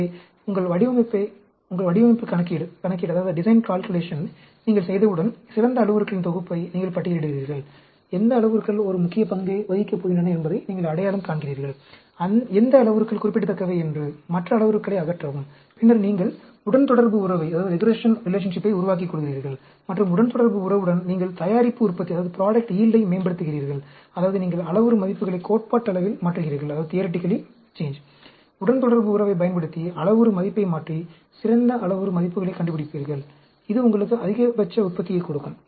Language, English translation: Tamil, So, obviously, once you perform your design calculation, you shortlist the best set of parameters, you identify which parameters are going to play a important role, are significant, eliminate the other parameters; then, you develop a regression relationship; and with the regression relationship, you optimize your product yield; that means, you change the parameter values theoretically, using the regression relationship, you change parameter value and find out the best set of parameter values, which give you the maximum yield